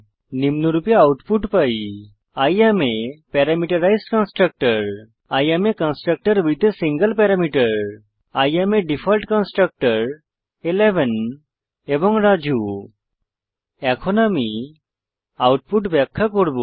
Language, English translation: Bengali, We get the output as I am a Parameterized Constructor I am a constructor with a single parameter I am Default Constructor 11 and Raju Now, I will explain the output